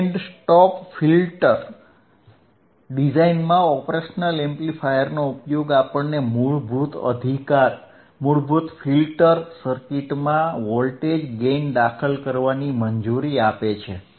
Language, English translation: Gujarati, The use of operational amplifiers within the band stop filter design also allows us to introduce voltage gain into basic filter circuit right